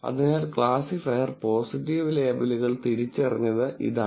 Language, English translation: Malayalam, So, this is when the classifier identified positive labels